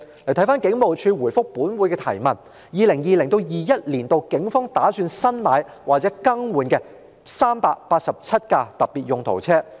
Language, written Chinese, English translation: Cantonese, 根據警務處就本會質詢而給予的答覆 ，2020-2021 年度警方打算新置或更換387輛特別用途車輛。, As stated in the reply given by the Police Force to the question raised by this Council the Police Force plan to replace or procure 387 specialised vehicles in 2020 - 2021